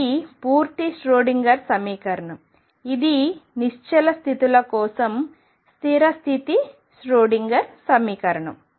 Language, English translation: Telugu, This is a complete Schroedinger equation which for stationary states goes over to stationary state Schroedinger equation